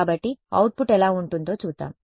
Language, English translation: Telugu, So, let us see what the output looks like